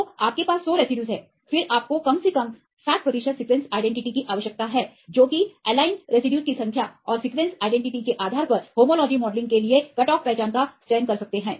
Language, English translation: Hindi, So, you have the hundred residues then you need at least 60 percent sequence identity, depending upon the number of aligned residues and the sequence identity right you we can select the cut off identity for homology modelling